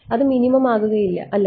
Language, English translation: Malayalam, It is not minimum right